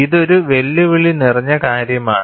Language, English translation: Malayalam, And, this is a challenging task